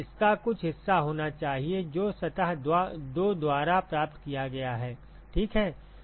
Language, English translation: Hindi, Now, there has to be some part of it which is received by surface 2 ok